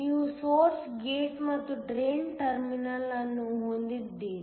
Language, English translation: Kannada, So, you have a source gate and a drain terminal